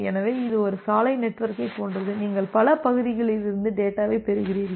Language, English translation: Tamil, So, it is just like a road network that you are getting data from multiple parts all together